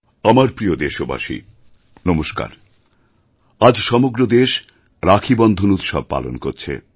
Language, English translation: Bengali, Today, the entire country is celebrating Rakshabandhan